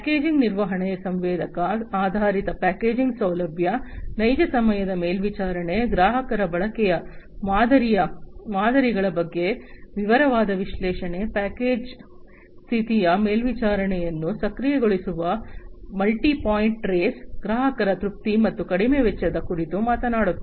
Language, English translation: Kannada, Packaging management talks about sensor based packaging facility, real time monitoring, detailed analytics on customers usage patterns, multi point trace enabling package condition monitoring, continued customer satisfaction, and reduced cost